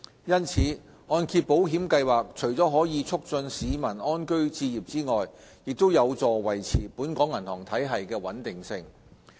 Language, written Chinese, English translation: Cantonese, 因此，按保計劃除了可以促進市民安居置業之外，亦有助維持本港銀行體系的穩定性。, Therefore in addition to promoting home ownership MIP also contributes to the maintenance of banking stability